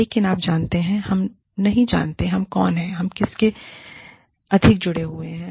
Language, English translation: Hindi, But, there is, you know, we do not know, who we are, more connected to